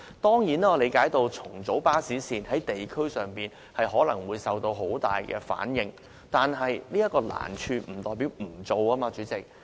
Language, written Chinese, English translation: Cantonese, 當然，我理解，如要重組巴士線，在地區上可能會遇到很大反應，但出現這種難處，並不代表不能進行，主席。, President surely I understand that rationalizing bus routes may evoke a strong response in communities but this does not mean that we can stop pursuing this because of the difficulty involved